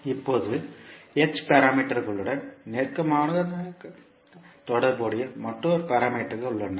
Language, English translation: Tamil, Now, there is another set of parameters which are closely related to h parameters